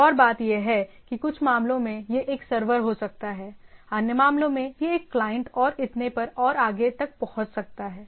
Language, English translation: Hindi, Other thing is that in some cases the, it can be a server other case it can access a client and so and so forth